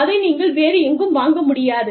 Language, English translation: Tamil, You will not get that, anywhere